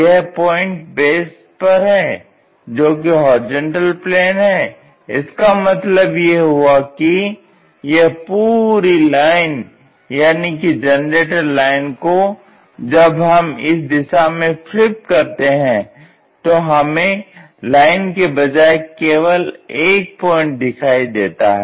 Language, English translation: Hindi, This point is on the base on horizontal plane; that means, that entire line generator lines which are inclined in the vertical direction that when we are flipping it in that direction that entirely coincide to that point